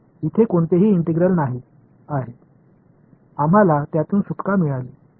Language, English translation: Marathi, There is no there is no integral over here we got rid of it, yes